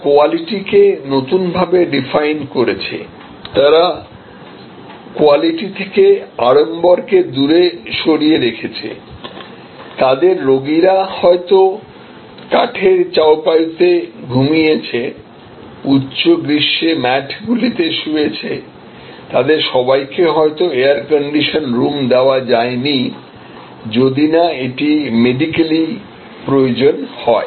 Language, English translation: Bengali, They redefined quality, they defined quality away from the frills, may be their patients slept on wooden chaw pies, slept on mats in high summer, may be not all of them were in air condition rooms, unless it was medically required